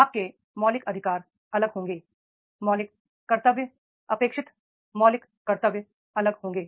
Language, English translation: Hindi, The fundamental duties, expected fundamental duties that will be different